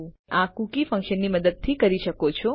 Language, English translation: Gujarati, You do this by using the setcookie function